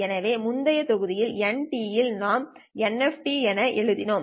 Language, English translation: Tamil, So in the previous module, N of T, we had written it as NF of T